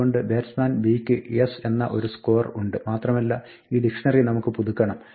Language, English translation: Malayalam, So, we have a score s for a batsman b and we want to update this dictionary